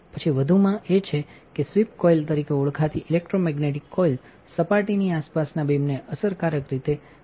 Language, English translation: Gujarati, Then the addition is that an electromagnetic coil known as sweep coil is employed to effectively raster the beam around the surface